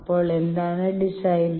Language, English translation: Malayalam, So, what is the design